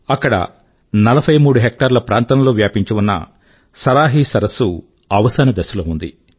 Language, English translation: Telugu, Here, the Saraahi Lake, spread across 43 hectares was on the verge of breathing its last